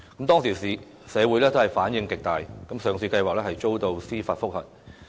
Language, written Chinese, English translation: Cantonese, 當時社會反響極大，上市計劃遭到司法覆核。, There were strong reactions in society back then and a judicial review was filed against the listing plan